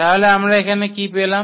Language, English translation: Bengali, So, what do we get now